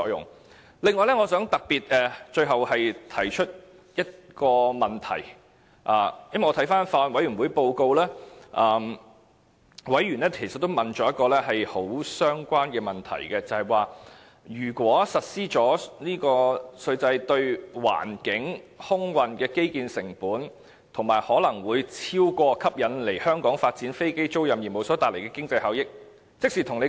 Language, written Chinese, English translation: Cantonese, 此外，我最後想特別提出一個問題。法案委員會報告顯示，委員其實也提出了一個很相關問題：一旦實施這個稅制，相關的環境及空運基建成本，會否超過吸引來香港發展飛機租賃業務所帶來的經濟效益呢？, One last question that I particularly wish to raise is whether the environmental and air transport infrastructure costs associated with the implementation of the tax regime may outweigh the economic benefits from the aircraft leasing business that may be attracted to Hong Kong . In fact according to the Bills Committee report a similar question had also been raised in the meeting